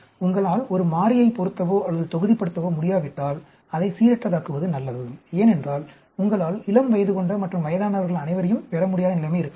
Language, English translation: Tamil, If you can neither fix nor block a variable, then better to randomize it, because there could be situation where you might not be able to get all adult and old people